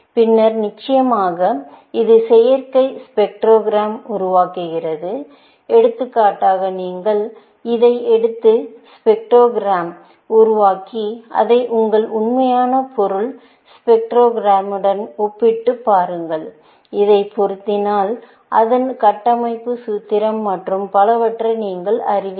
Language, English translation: Tamil, Then, of course, it generates the synthetic spectrogram of the, for example, you take this generate the spectrogram and compare it with your real material spectrogram, and if this matches, then you know that it is the structural formula and so on, essentially